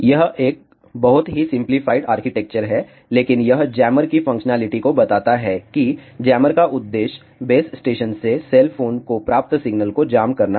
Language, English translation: Hindi, This is a very simplified architecture, but it explains the functionality of the jammer remember the objective of the jammer is to jam the signal that is received from the base station to the cell phone